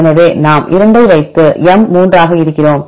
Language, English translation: Tamil, So, we put 2 then M is 3